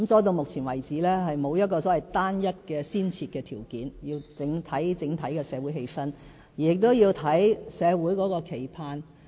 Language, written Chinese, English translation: Cantonese, 到目前為止，並沒有單一的先設條件，而是要視乎整體的社會氣氛，要視乎社會的期盼。, At present no single precondition alone can determine the reactivation or otherwise of reform and all must depend on the atmosphere and peoples wishes in society as a whole